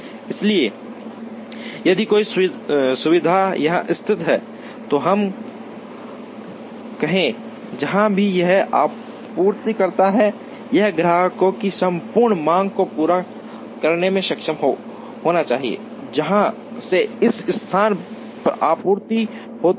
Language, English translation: Hindi, So, if a facility is located here let us say, wherever it supplies, it should be able to meet the entire demand of the customers to which there is supply from this place